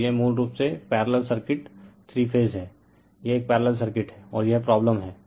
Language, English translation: Hindi, So, it is a basically parallel parallel, circuit right, three phase it is a parallel circuit and this is the your problem